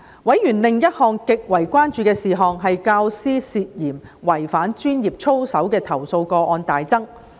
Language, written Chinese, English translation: Cantonese, 委員另一項極為關注的事項，是教師涉嫌違反專業操守的投訴個案大增。, Another matter of great concern to members was the surge in complaint cases about suspected professional misconduct of teachers